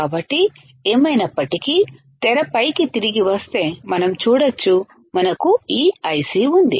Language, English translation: Telugu, So, anyway coming back to the screen what we see is that we have this IC